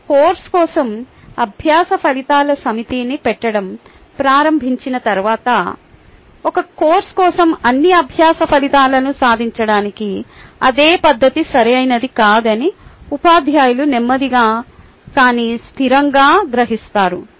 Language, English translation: Telugu, once you start putting a set of learning outcome for the course, the teachers will realize slowly but straightly that the same method is not suitable to achieve all the learning outcomes for a course